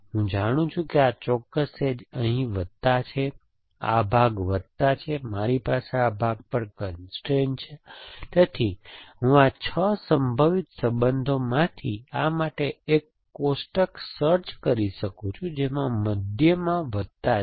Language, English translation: Gujarati, Essentially, once I know that this particular edge is plus here, this part is plus I have constrains on this part, so I can look up a table for this out of the 6 possible relations which of them has a plus in the middle